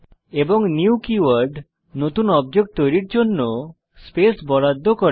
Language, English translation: Bengali, And the new keyword allocates space for the new object to be created